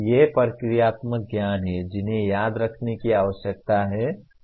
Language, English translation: Hindi, These are procedural knowledge that needs to be remembered